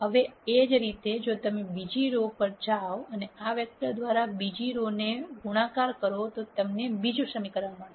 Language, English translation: Gujarati, Now, similarly if you get to the second row and multiply the second row by this vector you will get another equation